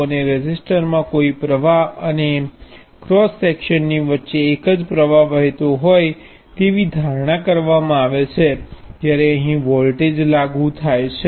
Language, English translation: Gujarati, And in resistor like that a current is assume to flow uniformly across the cross section in this way, when a voltage is applied here